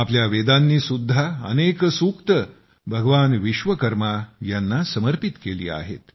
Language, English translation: Marathi, Our Vedas have also dedicated many sookta to Bhagwan Vishwakarma